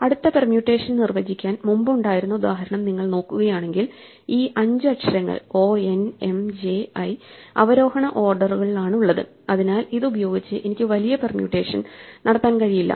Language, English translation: Malayalam, If you look at example that we had before for which we want to define the next permutation, we find this suffix o n m j i these five letters are in descending orders so I cannot make any larger permutation using this